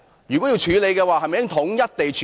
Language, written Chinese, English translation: Cantonese, 如果要處理，是否應該統一處理？, If so should it be handled in a unified manner?